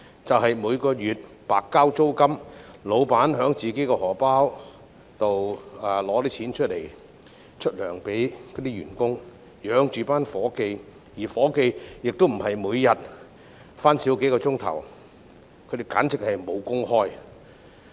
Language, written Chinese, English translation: Cantonese, 老闆每月白交租金及自掏腰包向員工發薪留住員工，而員工不是每天工作時間減少數小時，而是簡直"無工開"。, The bosses are paying rents in vain each month . They are also paying salaries out of their own pockets to retain the employees who do not simply have their daily working hours reduced by few hours but actually have nothing to do